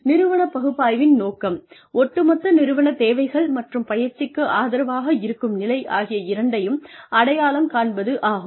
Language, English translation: Tamil, The purpose of organization analysis, is to identify both overall organizational needs and the level of support of training